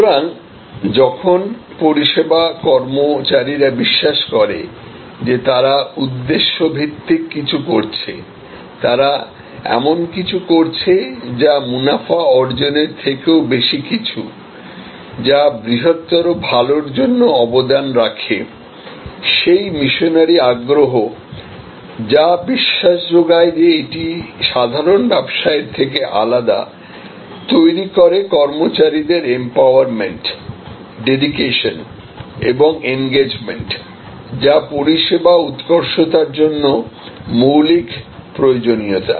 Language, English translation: Bengali, So, that when service employees believe that they are doing something which is mission oriented, they are doing something which is beyond profit making, which is contributing to the greater good, that missionary sill that believe in something more than ordinary business, creates this employee empowerment and employee dedication and employee engagement, which are fundamental requirements for service excellence